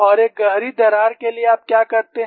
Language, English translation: Hindi, And for a deep crack what you do